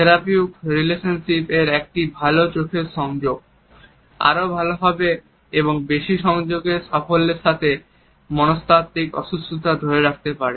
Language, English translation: Bengali, In therapeutic relationships a good eye contact is associated with a better and more successful recognition of psychological distresses in patients